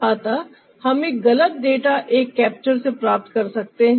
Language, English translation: Hindi, so we may get an wrong data from ah a capture